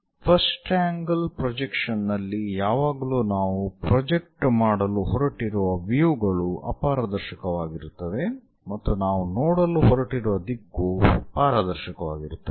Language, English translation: Kannada, Here, in the first angle projection size always be our the views on which we are going to project, those will be opaque and the direction through which we are going to see will be transparent